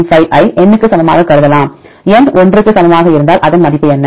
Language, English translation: Tamil, 95 into N, if N equal to 1 what is the value